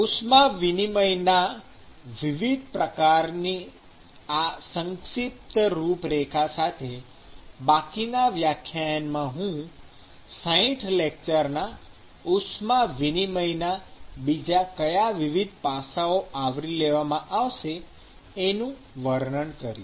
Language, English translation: Gujarati, So, with this brief outline of different modes of heat transfer in a few minutes, I will describe what are the different aspects, that will actually be covered in this particular 60 lecture heat transfer course